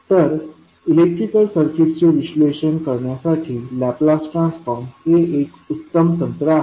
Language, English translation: Marathi, So, the Laplace transform is considered to be one of the best technique for analyzing a electrical circuit